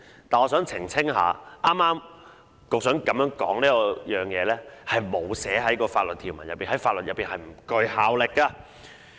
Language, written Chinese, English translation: Cantonese, 但是，我想澄清一下，局長剛才的發言並無納入法律條文，在法律上不具效力。, However I would like to clarify that the Secretarys speech just now does not stand part of the legislation and thus has no legislative effect